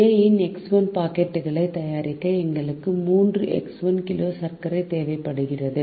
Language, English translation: Tamil, so to make x one packets of a, we need three x one kg of flour